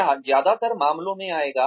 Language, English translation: Hindi, It will come in most cases